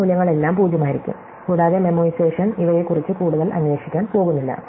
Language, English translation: Malayalam, So, all these values are going to be 0, and memoization is not going to look further around these